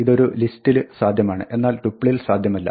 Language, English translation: Malayalam, This is possible in a list, but not in a tuple